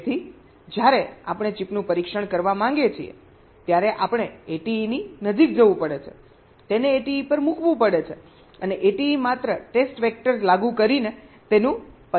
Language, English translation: Gujarati, so when you want to test the chip, we have to go near the a t e, put it on the a t e and a t e will be just applying the test vectors and test it